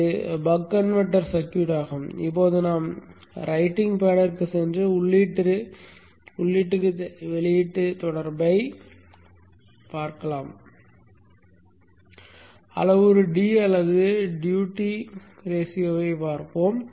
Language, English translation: Tamil, We shall now go to the writing pad and see the input out relationship with using the parameter D or the duty ratio